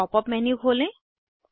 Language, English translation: Hindi, Open the pop up menu